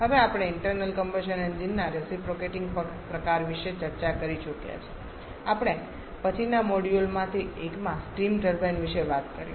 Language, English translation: Gujarati, Now we have already discussed about the reciprocating kind of internal combustion engine we shall be talking about the steam turbines later on in one of the later modules